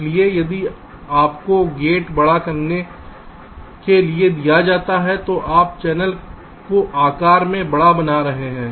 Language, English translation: Hindi, so if you are give making a gate larger, you are making the channel larger in size